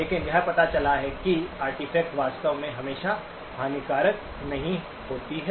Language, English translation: Hindi, But it turns out that these artefacts are actually not always harmful